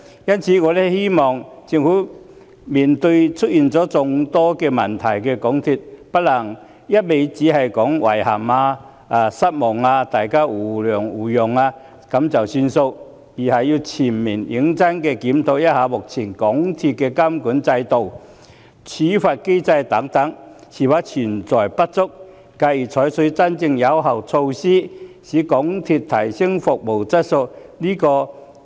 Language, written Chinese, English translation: Cantonese, 因此，面對出現眾多問題的港鐵公司，我希望政府不能只說句"遺憾"、"失望"，或請大家互諒互讓便作罷，而要全面認真檢討港鐵公司目前的監管制度及處罰機制等是否存在不足，繼而採取真正有效的措施，提升港鐵公司的服務質素。, For all these reasons I hope that in the face of the problem - ridden MTRCL the Government will not merely use such words as regrettable and disappointed or ask people to show mutual understanding and mutual accommodation . Instead it should conduct a comprehensive and serious review to ascertain the presence or otherwise of any inadequacies in the existing monitoring system and penalty mechanism for MTRCL . Subsequently it should adopt truly effective measures for enhancing MTRCLs service quality